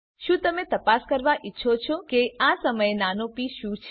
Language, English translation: Gujarati, Would you want to check what small p is at this point